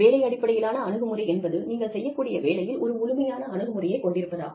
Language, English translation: Tamil, Job based approach is, you know, a holistic approach, to do the kind of job, you do